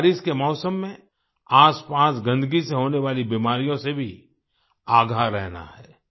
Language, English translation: Hindi, We also have to be alert of the diseases caused by the surrounding filth during the rainy season